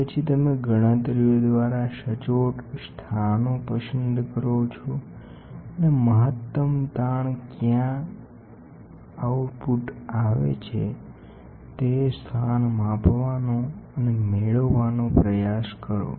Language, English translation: Gujarati, Then, you choose accurate locations by calculations and find out what is a where is a maximum stress are coming out and then you try to measure the location for the strain